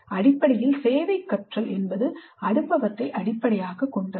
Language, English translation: Tamil, Basically service learning can be experience based